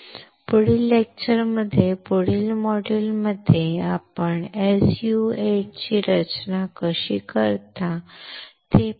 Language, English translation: Marathi, In the next lecture, in the next module we will see how you can design the SU 8 well